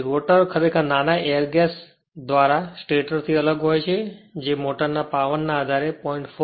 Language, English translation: Gujarati, So, the rotor actually separated from the stator by a small air gas which ranges from 0